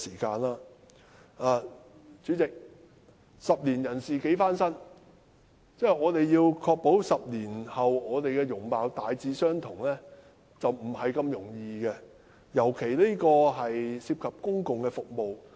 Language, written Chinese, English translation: Cantonese, 代理主席，"十年人事幾番新"，我們要確保自己的容貌在10年後大致相同，並不容易，更遑論司機證涉及公共服務。, Deputy Chairman as the Chinese saying goes Things and people change a lot in the space of 10 years . It will be difficult for us to ensure that we look pretty much the same after 10 years let alone the fact that driver identity plates are related to public service